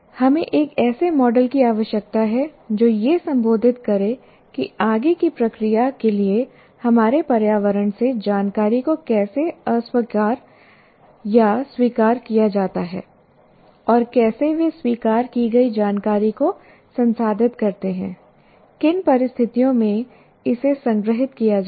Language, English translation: Hindi, Now, we require a model that should address how the information from our environment is rejected or accepted by senses for further processing and how the accepted information is processed under what conditions it gets stored